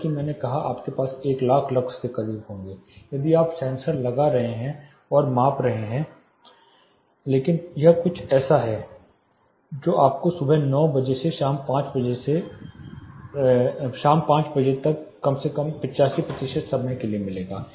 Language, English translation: Hindi, Like I said you will have you know close one lack lux if you are putting a sensor and measuring, but this is something like what you will get from 9 am to 5 pm at least for 85 percent of the time